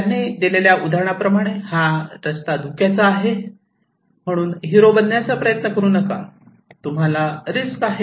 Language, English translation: Marathi, Like the example they have given that, this road is in danger, so do not be flamboyant, do not try to be hero, you will be at risk